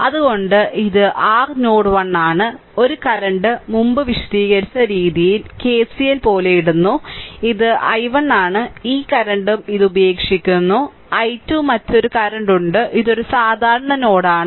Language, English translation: Malayalam, So, it is therefore, this is your node 1, this is your node 1 one current is leaving just putting like KCL ah the way we explained before, this is i 1 this current is also leaving this is i 2 right another current is there this is a common node